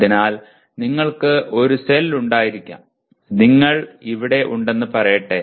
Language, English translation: Malayalam, So you can have a cell let us say you are here